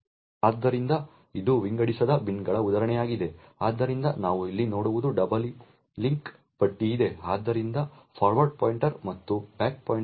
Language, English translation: Kannada, So, this is an example of an unsorted bins, so what we see over here is that there is a double link list so therefore there is a forward pointer and are back pointer